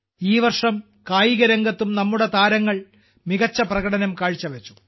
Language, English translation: Malayalam, This year our athletes also performed marvellously in sports